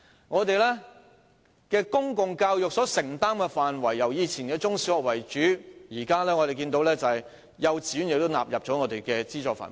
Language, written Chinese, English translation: Cantonese, 我們的公共教育承擔的範圍由以前以中、小學為主，到現在變為幼稚園亦納入資助範圍。, In the past our commitment to public education mainly covered primary and secondary schools but now kindergartens have also been included in the scope of subsidy